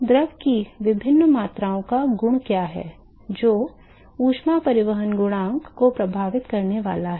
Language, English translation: Hindi, What are the different quantities or properties of the fluid, which is going to influence the heat transport coefficient